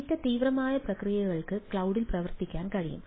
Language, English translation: Malayalam, data intensive processes can run on the cloud